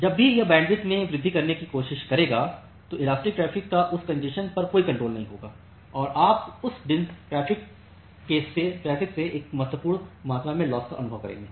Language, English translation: Hindi, So, whenever it will try to increase in bandwidth the inelastic traffic does not have any control over that congestion and you will experience a significant amount of loss from that inelastic traffic